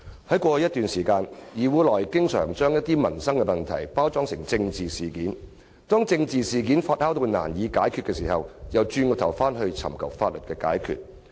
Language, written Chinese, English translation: Cantonese, 在過去一段時間，部分議員經常把一些民生問題包裝成政治事件，當政治事件發酵至難以收拾時，又轉而尋求法律方式解決。, For some time in the past it has been the habit of some Members to spin livelihood issues into political events . When these political events festered and got out of control they would change tack and seek resolution in law instead